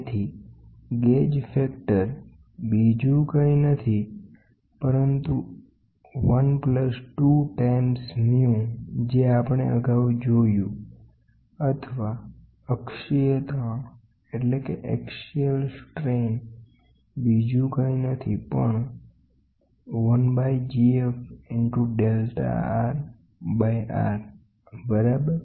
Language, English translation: Gujarati, So, gauge factor is nothing but 1 plus 2 times mu which we saw the earlier derivation or the axial strain is nothing but 1 by G F into delta R by R, ok